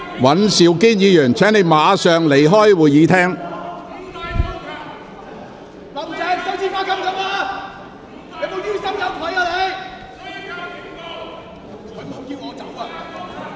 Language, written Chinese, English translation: Cantonese, 尹兆堅議員，請你立即離開會議廳。, Mr Andrew WAN please leave the Chamber immediately